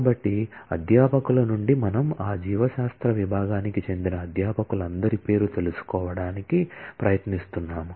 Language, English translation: Telugu, So, from faculty we are trying to find out the name of all those faculties; who belong to the biology department